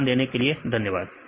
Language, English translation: Hindi, Thanks for your kind attention